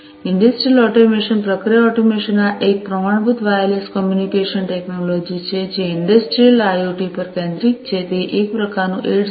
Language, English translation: Gujarati, Industrial automation, process automation, this is a standard wireless communication technology focused on industrial IoT, it is kind of a variant of 802